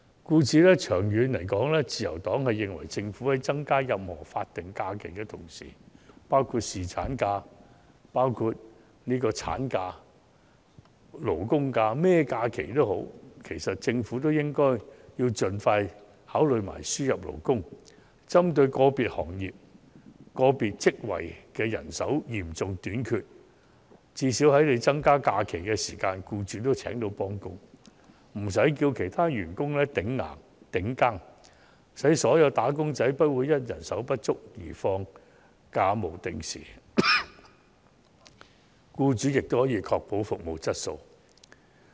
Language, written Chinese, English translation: Cantonese, 故此，長遠而言，自由黨認為政府在增加法定假日、侍產假、產假等時，必須針對個別行業或個別職位人手嚴重短缺的問題，盡快考慮輸入勞工，最少讓僱主在政府增加假期時亦能聘請替工，無需以其他現職員工頂替，從而讓所有"打工仔"不會因人手不足而需不定時放假。此外，僱主亦可以確保服務質素。, Therefore in the long run the Liberal Party thinks that when the Government increases the number of statutory holidays and the durations of paternity leave and maternity leave it must target at the problem of serious manpower shortage plaguing certain industries or job types and expeditiously consider labour importation so as to at least enable employers to hire substitute workers and spare the need to arrange other serving employees to take up the job if the Government increases holiday or leave entitlement . That way all employees will not have to take leave on an irregular basis due to manpower shortage whereas employers can ensure their service quality